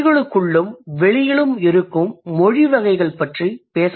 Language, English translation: Tamil, I'm going to talk about the varieties that languages might have within the languages across languages